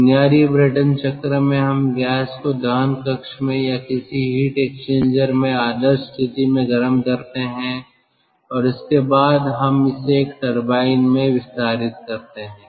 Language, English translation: Hindi, what we do in the basic brayton cycle we heat the gas in the combustion chamber or, in idle case, in some heat exchanger, and after that we let it expand in a turbine